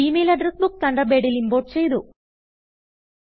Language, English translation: Malayalam, The Gmail Address Book is imported to Thunderbird